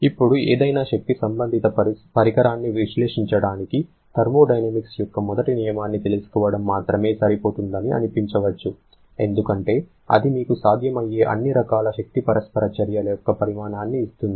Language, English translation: Telugu, Now, it may seem that just knowing the first law of thermodynamics alone is sufficient for analyzing any energy associated device because that will give you the magnitude of all possible kind of energy interaction